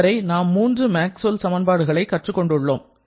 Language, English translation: Tamil, Now, we have got 3 Maxwell's equations now